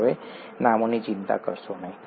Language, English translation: Gujarati, DonÕt worry about the names now